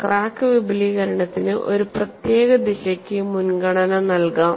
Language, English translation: Malayalam, The crack can have a preferred way of extension